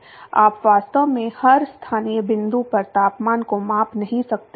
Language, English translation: Hindi, You really cannot measure the temperature at every local point inside